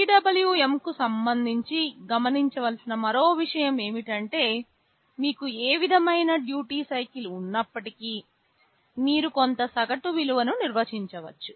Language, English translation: Telugu, Another thing to note with respect to PWM is that whatever duty cycle you have, you can define some average value